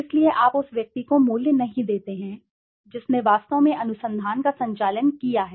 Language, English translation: Hindi, So you do not give value to the person who actually has conducted the research